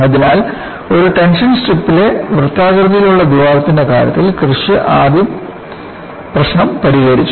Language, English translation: Malayalam, So, the first problem was solved by Kirsch, for the case of a circular hole in a tension strip